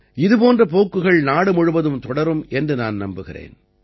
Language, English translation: Tamil, I am sure that such trends will continue throughout the country